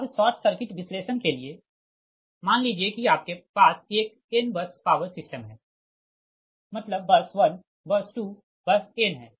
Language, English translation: Hindi, right now for short circuit analysis, suppose you have a in bus power system, right, you have a n bus power system, that is bus one, bus two, bus n